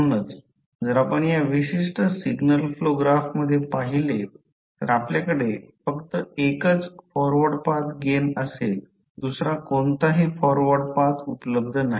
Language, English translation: Marathi, So, if you see in this particular signal flow graph you will have only one forward path there is no any other forward path available